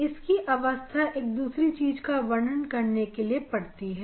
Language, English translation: Hindi, this is required for discussing this other thing